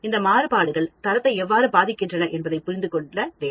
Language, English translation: Tamil, We have to understand and quantify these variation, and we have to understand how these variations impact quality